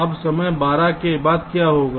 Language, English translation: Hindi, right now, after time twelve, what will happen